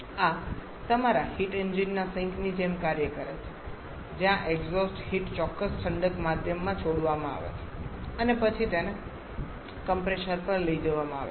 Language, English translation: Gujarati, This is act like the sink of your heat engine where the exhaust heat is released to certain cooling medium and then it is taken back to the compressor